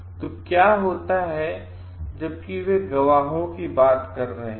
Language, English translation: Hindi, So, while they are talking of witnesses here what happens